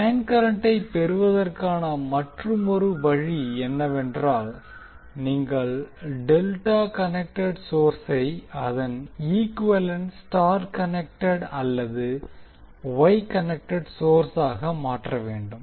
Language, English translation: Tamil, Now another way to obtain the line current is that you replace the delta connected source into its equivalent star connected or Y connected source